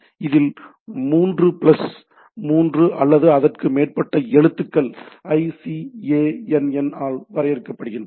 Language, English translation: Tamil, So, these are top level domain, which has three plus three or more characters can be are defined by the ICANN